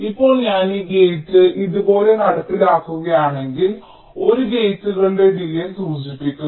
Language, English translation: Malayalam, ok, now if i implement this gate like this, one denote the delay of the gates